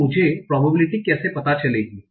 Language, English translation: Hindi, So how do I find out this probability